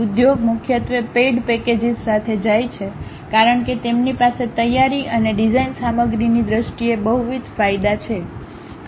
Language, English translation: Gujarati, Industry mainly goes with paid packages because they have multiple advantages in terms of preparing and design materials